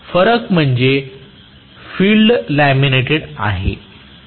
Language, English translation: Marathi, The difference is the field being laminated